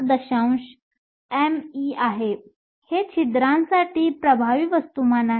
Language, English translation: Marathi, 5 m e, this is the effective mass for the hole